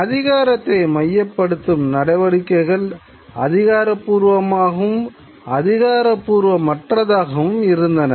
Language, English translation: Tamil, And this centralization of power could be official as well as non official